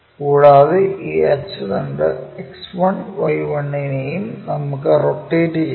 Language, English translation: Malayalam, And, we rotate that about this axis X1Y1